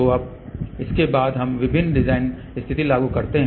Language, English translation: Hindi, So, after that now, we apply various design condition